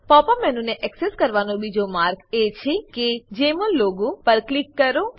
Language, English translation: Gujarati, The second way to access the Pop up menu is to click on the Jmol logo